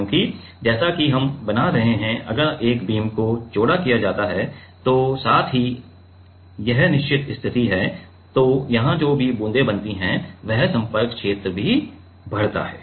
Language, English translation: Hindi, Because, as we are making if a, if a beam is made wider then at the same time listen this is the fixed position then the whatever droplets is made here that contact area also increases